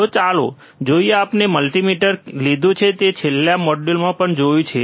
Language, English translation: Gujarati, So, let us see, we got the multimeter which you also you have seen in the last module, right this multimeter